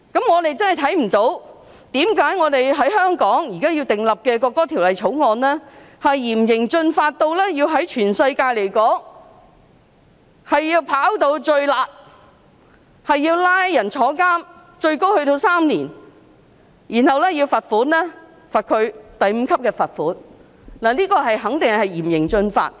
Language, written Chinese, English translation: Cantonese, 我們真的看不到為何香港現時訂立的《條例草案》，要嚴刑峻法到屬全世界最"辣"，要判處最高3年的監禁，並要判處第5級罰款，這肯定是嚴刑峻法。, We really cannot see why this Bill to be enacted in Hong Kong has to stipulate such heavy penalty of a standard which is the harshest worldwide in providing for a prison term for up to three years and a fine of level 5 . This is definitely stringent and harsh